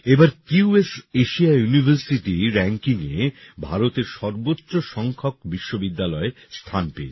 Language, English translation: Bengali, This time the highest number of Indian universities have been included in the QS Asia University Rankings